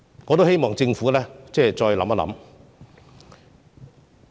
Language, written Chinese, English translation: Cantonese, 我希望政府再考慮我們的意見。, I hope that the Government will consider our views again